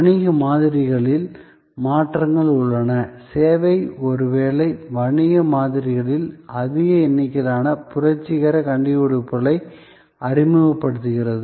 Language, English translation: Tamil, There are changes in the business models; service is perhaps introducing the most number of revolutionary innovations in business models